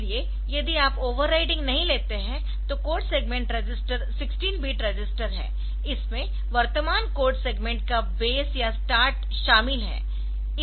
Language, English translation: Hindi, So, if you do not take the overwriting then the code segment register is 16 bit register, it contains the base or start of the current code segment